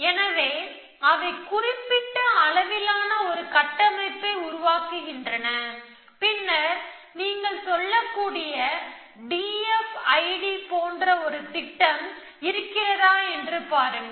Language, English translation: Tamil, So, they construct a structure of certain size and then see if there is a plan there little bit like D F I D you might say